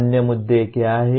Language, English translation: Hindi, What are the other issues